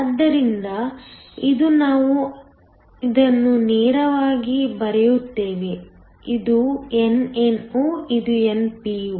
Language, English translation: Kannada, So this, we just draw it straight is nno this is npo